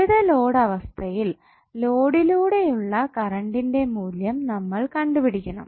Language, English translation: Malayalam, So you need to find out the value of current through the load under various loading conditions